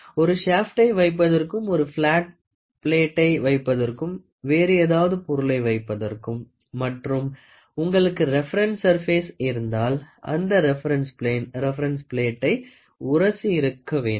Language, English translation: Tamil, For example, if you want to put a shaft, if you want to put a flat plate, if you want to put any other objects and if you have a reference surface that reference plane should butt against the surface plate